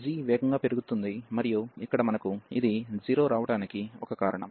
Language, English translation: Telugu, This g will be growing faster, and that is a reason here we are getting this 0